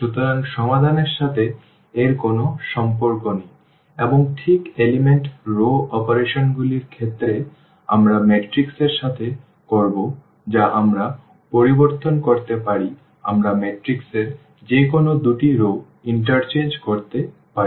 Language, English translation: Bengali, So, it has nothing to do with the solution and that exactly in terms of the element row operations we will be doing with the matrix that we can change we can interchange any two rows of the matrix